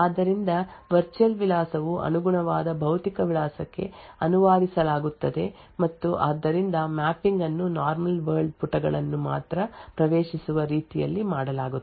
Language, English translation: Kannada, So, the virtual address would then get translated to the corresponding physical address and therefore the mapping is done in such a way that it is only the normal world pages which can be accessed